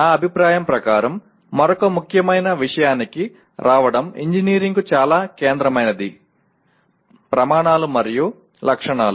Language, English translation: Telugu, Coming to another important one in my opinion most central to engineering is criteria and specifications